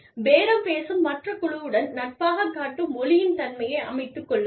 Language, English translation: Tamil, Set the tone by, being friendly to the other bargaining team